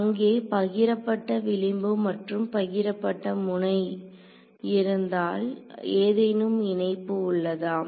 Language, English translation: Tamil, So, only if there are shared edges or shared nodes is there any coupling